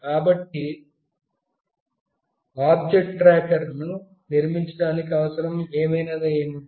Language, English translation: Telugu, So, what is the requirement for building an object tracker